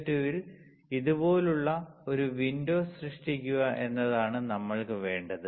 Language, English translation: Malayalam, What we want is that we need to create a window in SiO2 like this